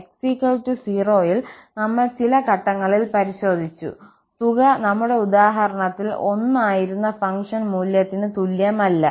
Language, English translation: Malayalam, We have checked at some point, at x equal to 0 and the sum was not equal to the function value which was 1 in our example